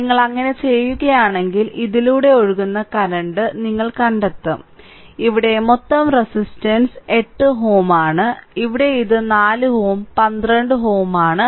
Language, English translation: Malayalam, So, if you do so, then current flowing through this you find out; so, total resistance here it is 8 ohm, here it is 4 ohm 12 ohm